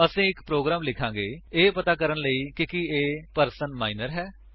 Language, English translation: Punjabi, We will write a program to identify whether a person is Minor